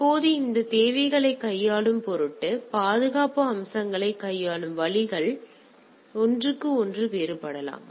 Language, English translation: Tamil, Now in order to handle those requirements; so, there are way it handles the security aspects may differ from one to another right